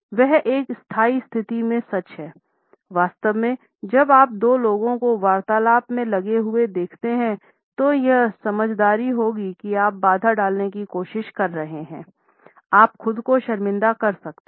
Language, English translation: Hindi, The same holds true in a standing position; in fact, when you see two people engaged in a conversation like these two here; it would be wise not to try to interrupt, you may end up embarrassing yourself